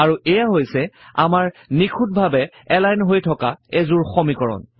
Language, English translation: Assamese, And there is our perfectly aligned set of equations